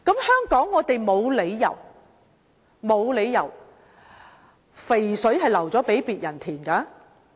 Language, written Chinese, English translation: Cantonese, 香港沒有理由讓"肥水流向別人田"。, It does not make sense that Hong Kong will let other markets grasp this opportunity